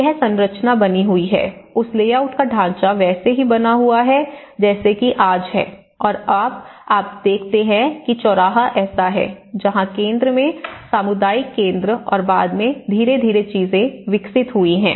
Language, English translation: Hindi, So, that the structure remained, the structure of that layout remained as it is and like now today, you see that the crossroad is like this where the community center in the center and gradually things have developed later on